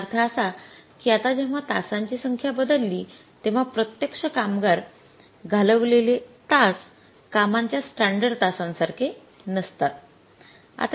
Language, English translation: Marathi, So when the number of hours have changed it means now the actual hours is spent on the work are not same as with the standard hours of the work